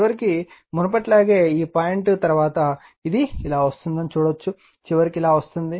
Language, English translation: Telugu, And finally, again after this point same as before, see it will come like this, and finally it will come like this